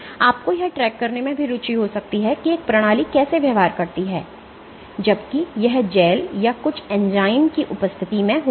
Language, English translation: Hindi, You might also be interested in tracking how a system behaves while it gels or in the presence of some enzyme